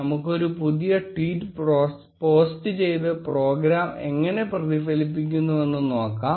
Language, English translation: Malayalam, Let us post a newer tweet and see how it gets reflected by the program